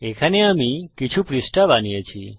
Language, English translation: Bengali, Now I have created a few pages here